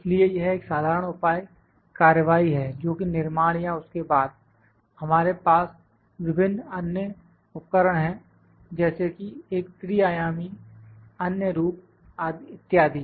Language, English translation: Hindi, So, this is a general measure that was construction, then, we have various other tools like a three dimensional other forms etc